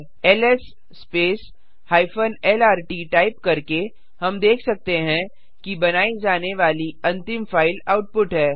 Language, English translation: Hindi, By typing ls space hyphen lrt, we can see that output is the last file to be created